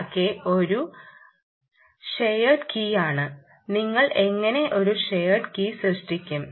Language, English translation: Malayalam, i r k is a shared secret, and how do you generate a shared key